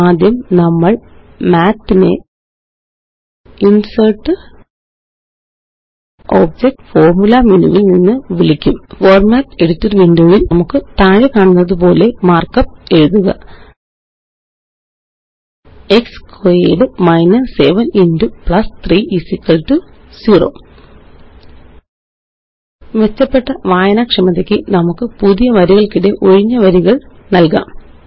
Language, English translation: Malayalam, First we will call Math from the InsertgtObjectgtFormula menu In the Format Editor Window, let us type the mark up as follows: x squared minus 7 x plus 3 = 0 Let us write two newlines for entering blank lines for better readability